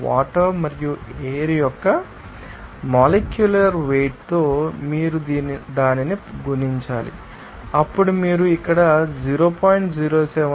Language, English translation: Telugu, Simply you have to multiply it by its molecular weight of that water and air, then you can get to you know 0